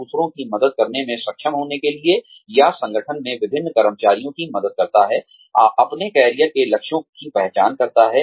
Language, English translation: Hindi, In order to be, able to help others, or, helps different employees in the organization, identify their career goals